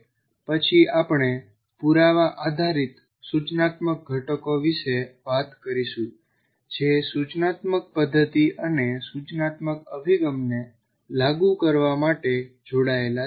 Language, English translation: Gujarati, And then we talk about the evidence based instructional components which are combined to implement an instructional method and an instructional approach